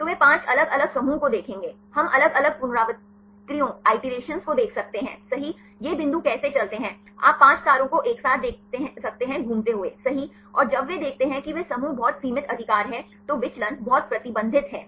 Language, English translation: Hindi, So, they will see 5 different clusters right we can see the different iterations right, how these points move, you can see the 5 stars right move everything together, and when converge they can see the clusters are very a restricted right, the deviation is very restricted